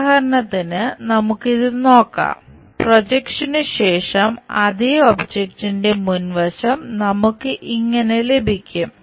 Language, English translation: Malayalam, For example, let us look at this one, for the same object the front view, after projection, we might be getting this one